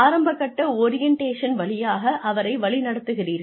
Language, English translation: Tamil, Put them through the initial orientation phase